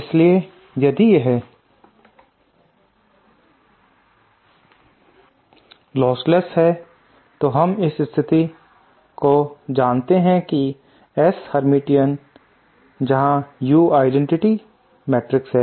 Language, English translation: Hindi, So if it is lostless then we know the condition that S hermitian where U is the identity matrix